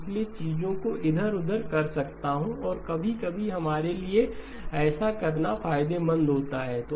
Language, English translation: Hindi, So I can move things around and sometimes it is advantageous for us to do the following